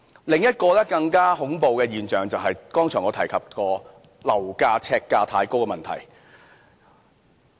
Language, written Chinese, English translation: Cantonese, 另一個更加恐怖的現象，便是我剛才提及過樓價、呎價太高的問題。, Another more terrible phenomenon is the exorbitant prices per flat and per square foot that I mentioned earlier